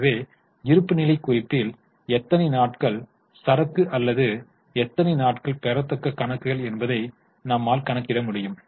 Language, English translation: Tamil, So, we know that how many days of inventory or how many days of receivables are in the balance sheet